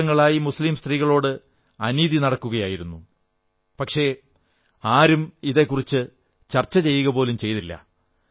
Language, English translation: Malayalam, For decades, injustice was being rendered to Muslim women but there was no discussion on it